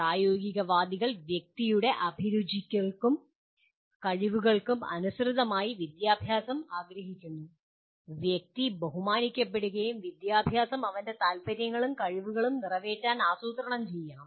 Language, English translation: Malayalam, Pragmatists want education according to aptitudes and abilities of the individual; individual must be respected and education planned to cater to his inclinations and capacities